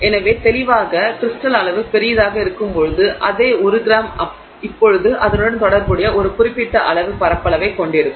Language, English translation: Tamil, So, clearly when the crystal size is larger, so the same one gram will now have a certain amount of surface area associated with it